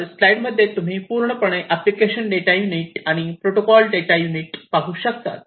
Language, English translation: Marathi, So, as you can see over here this entire thing is the application data unit and this part is the protocol data unit